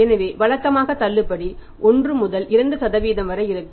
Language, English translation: Tamil, So, normally discount remains 1to 2% depending upon the order